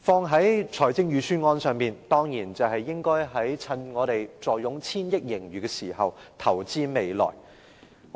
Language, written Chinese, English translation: Cantonese, 套用在預算案上，當然是應該在我們坐擁千億元盈餘時投資未來。, In the context of the Budget it naturally means that we should invest for our future when we have a surplus of hundreds of billions of dollars